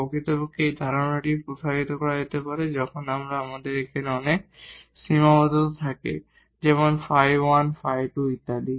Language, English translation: Bengali, In fact, this idea can be extended for when we have many constraints like phi 1 phi 2 and so on